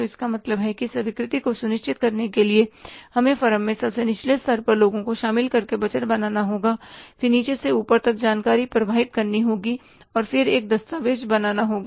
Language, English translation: Hindi, So it means acceptance to ensure the acceptance we will have to do the budgeting by involving the people at the lowest level in the firm, then information has to flow from the bottom to top and then a document has to be created